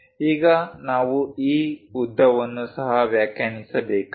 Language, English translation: Kannada, Now, we have this length also has to be defined